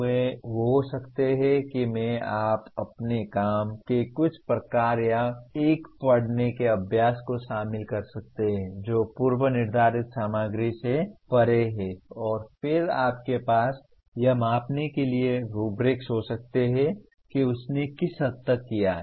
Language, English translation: Hindi, They can be, that I,s you can incorporate some kind of your assignment or a reading exercise that goes beyond the predetermined content and then you can have rubrics to measure that to what extent he has done